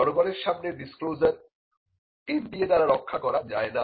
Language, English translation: Bengali, Now, disclosures to the public cannot be protected by NDA